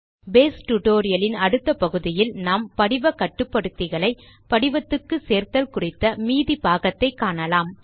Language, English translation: Tamil, In the next part of the Base tutorial, we will continue adding the rest of the form controls to our form